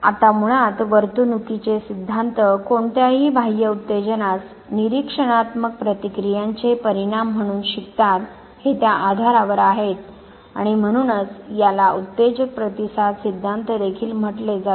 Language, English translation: Marathi, Now basically the behavioral theories are based on the premise that learning takes place as the result of observable responses to any external stimuli and therefore, it is also known as stimulus response theory